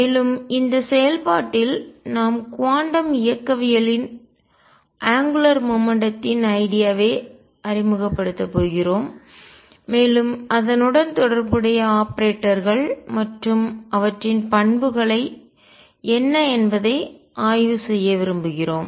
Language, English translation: Tamil, And we want to explore that in the process we are also going to introduce the idea of angular momentum in quantum mechanics the corresponding, the corresponding operators and their properties